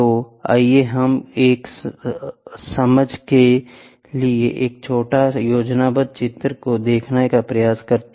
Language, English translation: Hindi, So, let us try to have a small schematic diagram for an understanding